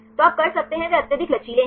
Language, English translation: Hindi, So, you can they are highly flexible